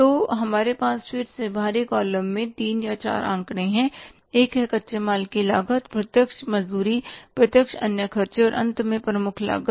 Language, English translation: Hindi, So, we are again having the three figures or four figures in the outer column, one is cost of raw material consumed, direct wages, direct other expenses and finally the prime cost